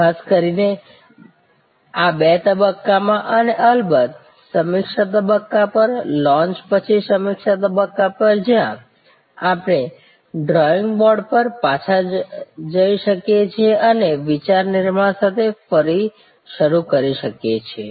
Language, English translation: Gujarati, Particularly, in these two stages and of course, at the review stage, post launch review stage, where we can go back to the drawing board and start again with idea generation